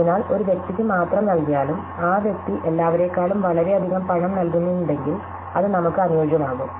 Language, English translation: Malayalam, So, even if give to only one person, if that person is paying a lot more than everybody else, then that would be optimum for us